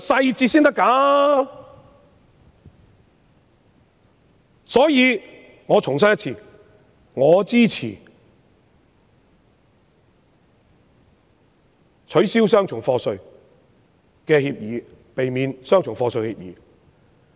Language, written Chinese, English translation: Cantonese, 因此，我重申我支持避免雙重課稅的協定，以避免雙重課稅。, Hence I have to reiterate that I support the implementation of the avoidance of double taxation agreements which seeks to avoid the imposition of double taxation